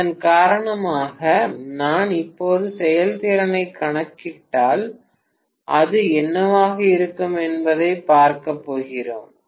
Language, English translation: Tamil, Because of which I am essentially going to see that if I calculate the efficiency now it will be, whatever is this 2